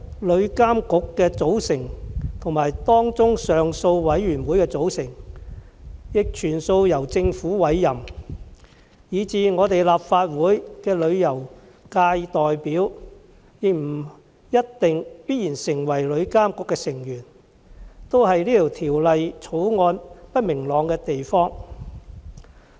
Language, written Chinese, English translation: Cantonese, 旅監局的成員及上訴委員會的成員，全數由政府委任，以致立法會的旅遊界代表亦不一定必然成為旅監局的成員，這是《條例草案》不明朗的地方。, Since members of TIA and the Appeal Panel will be appointed by the Government the Member representing the tourism industry may not necessary become a member of TIA . This is an uncertainty of the Bill